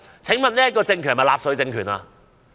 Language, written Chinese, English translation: Cantonese, 請問這個政權是納粹政權嗎？, Is the current regime a Nazi regime?